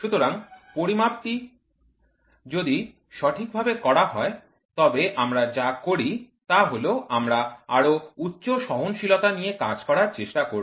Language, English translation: Bengali, So, measurement if it is done properly, then what we do is we will try to work on tighter tolerances